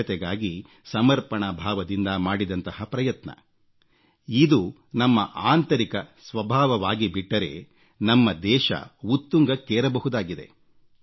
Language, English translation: Kannada, If this committed effort towards cleanliness become inherent to us, our country will certainly take our nation to greater heights